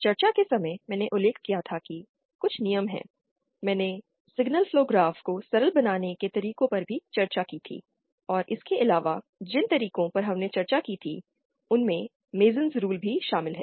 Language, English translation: Hindi, At the time of discussing I had mentioned that there are some rules, I had also discussed the ways of simplifying the signal flow graphs and in addition to the methods that we had discussed then, there is also something called MasonÕs rules